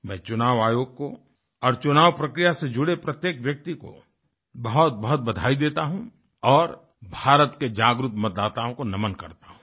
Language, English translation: Hindi, I congratulate the Election Commission and every person connected with the electioneering process and salute the aware voters of India